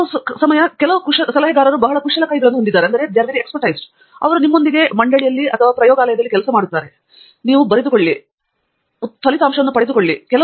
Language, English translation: Kannada, Some advisors are very hands on, they work with you on the board, write down, derive, etcetera